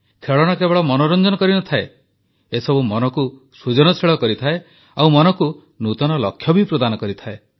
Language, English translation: Odia, Toys, not only entertain, they also build the mind and foster an intent too